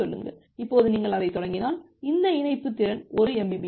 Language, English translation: Tamil, Now if you start that then this link capacity is 1 mbps